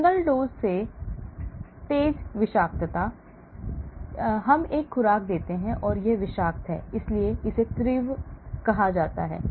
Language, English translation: Hindi, I give one dose and it is toxic, so that is called acute